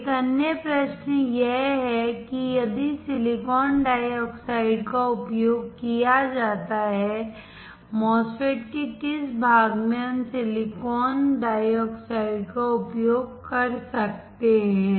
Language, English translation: Hindi, Another question is if silicon dioxide is used, which part of the MOSFETs can we use silicon dioxide